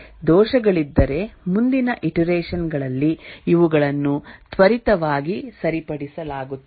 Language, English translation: Kannada, If there are bugs, these are fixed quickly in the next iteration